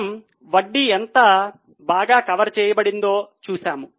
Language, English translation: Telugu, We see how better the interest is covered